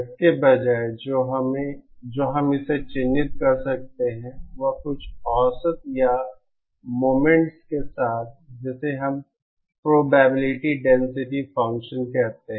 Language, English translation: Hindi, Instead, what we can characterise it is with some average or moments or what we call probability density function